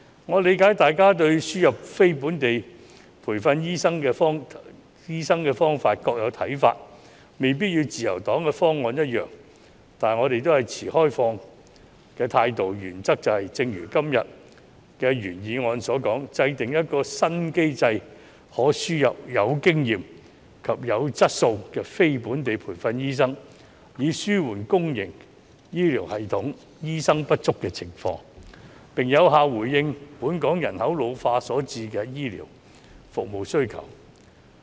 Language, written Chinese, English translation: Cantonese, 我理解大家對輸入非本地培訓醫生的方法各有看法，未必與自由黨的方案一樣，但我們也是持開放的態度，原則就是正如今天的原議案所述，制訂一個新機制，可輸入有經驗及質素的非本地培訓醫生，以紓緩公營醫療系統醫生不足的情況，並有效回應本港人口老化所產生的醫療服務需求。, I understand that Members have different views on ways to import non - locally trained doctors which may not be the same as the proposal of the Liberal Party but we remain open - minded . As stated in todays original motion the principle is to formulate a new mechanism for importing experienced and quality non - locally trained doctors to alleviate the shortage of doctors in the public healthcare system and respond to the demand for healthcare services arising from the ageing population in Hong Kong